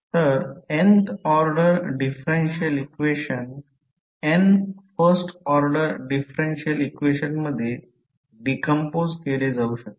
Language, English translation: Marathi, So, an nth order differential equation can be decomposed into n first order differential equations